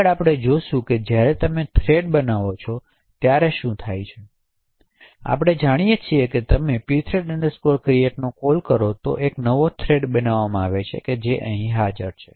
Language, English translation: Gujarati, Next, we will see what happens when you actually create a thread, so as we know and you invoke the pthread create it results in a new thread getting created which is present here